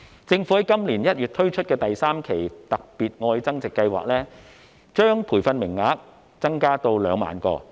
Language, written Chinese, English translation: Cantonese, 政府在今年1月推出的第三期"特別.愛增值"計劃，把培訓名額增加到2萬個。, The Government introduced the third tranche of the Love Upgrading Special Scheme in January this year and increased the number of training places to 20 000